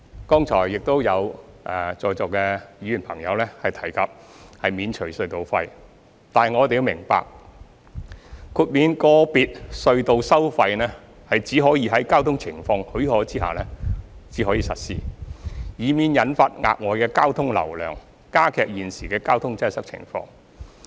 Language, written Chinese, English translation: Cantonese, 剛才亦有在座議員朋友提及免除隧道費，但我們要明白，豁免個別隧道收費只可在交通情況許可下實施，以免引發額外的交通流量，加劇現時的交通擠塞情況。, Just now some Members in the Chamber talked about waiving tunnel tolls but we have to understand that toll waiver for individual tunnels can only be implemented when the traffic conditions permit so as to avoid attracting additional traffic flow which will exacerbate the existing traffic congestion